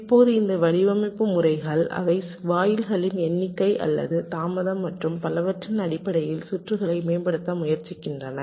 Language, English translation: Tamil, these design methodologies, they try to optimize the circuit in terms of either the number of gates or the delay and so on